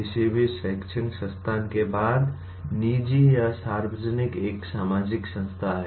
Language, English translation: Hindi, After all any educational institution, private or public is a social institution